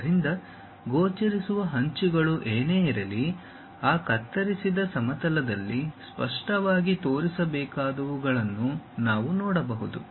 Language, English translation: Kannada, So, whatever the visible edges we can really see those supposed to be clearly shown on that cutting plane